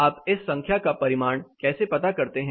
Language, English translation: Hindi, Now how do you quantify this number